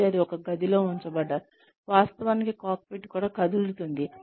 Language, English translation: Telugu, And, they put in a room, they actually, that the cockpit itself moves